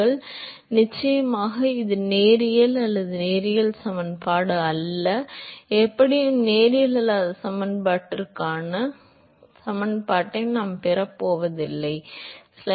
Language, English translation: Tamil, So, of course, it is non linear that is not the linear equation and it is not the surprise and we are not going to get the linear equation for non linear equation anyway